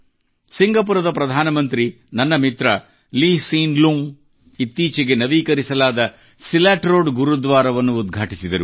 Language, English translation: Kannada, The Prime Minister of Singapore and my friend, Lee Hsien Loong inaugurated the recently renovated Silat Road Gurudwara